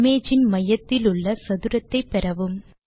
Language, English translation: Tamil, Hence, we get the centre of the image